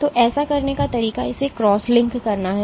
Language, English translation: Hindi, So, the way to do this is to cross link it